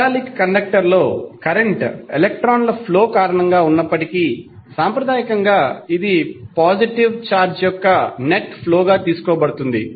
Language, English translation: Telugu, Although current in a metallic conductor is due to flow of electrons but conventionally it is taken as current as net flow of positive charge